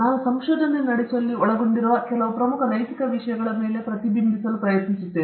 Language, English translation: Kannada, I will try to reflect upon some of the important ethical issues involved in conducting research